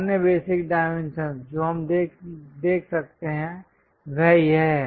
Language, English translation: Hindi, And the other basic dimensions, what we can see is here this